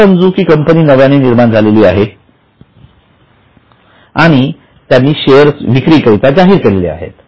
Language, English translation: Marathi, Now, let us say a company is newly formed and it issues shares